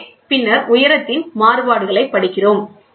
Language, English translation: Tamil, So, and then we read the variations in the height along